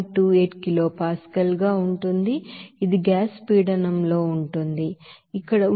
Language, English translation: Telugu, 28 kilopascal that is in gas pressure, where temperature is 303